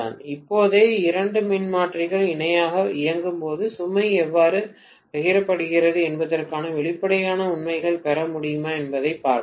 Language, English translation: Tamil, right Now, let us see whether we are able to get the expressions actually for how the load is being shared when two transformers are operated in parallel